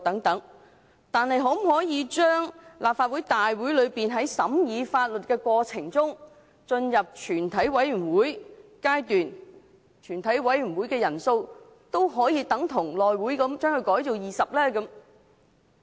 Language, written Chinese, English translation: Cantonese, 但是，立法會可否把在審議法律建議過程中的全體委員會的法定人數，與內務委員會一樣統一為20人？, However can Legislative Council standardize the quorums for the committee of the whole Council in the course of scrutinizing legislative proposals and the House Committee to 20 Members?